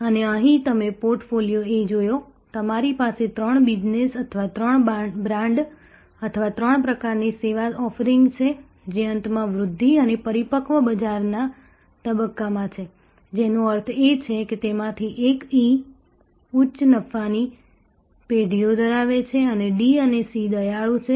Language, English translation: Gujarati, And here you seen portfolio A, you have three business or three brands or three types of service offerings, in the late growth and mature market stage, which means one of them E is at a high profit generations own and the D and C are kind of a approaching decline and A, B are already in the decline mode